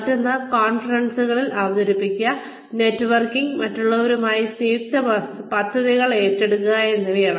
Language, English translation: Malayalam, Another one is, presenting at conferences, networking, undertaking joint projects with others